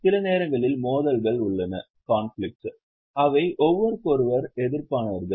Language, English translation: Tamil, Sometimes there are conflicts, they fight with each other